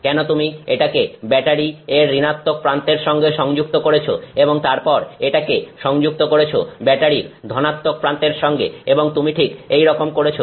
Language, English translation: Bengali, And let's say you connect this to the negative of battery and then you connect that to the positive of that battery and you do something like that